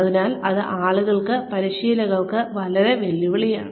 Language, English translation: Malayalam, So, that is a big challenge for people, for the trainers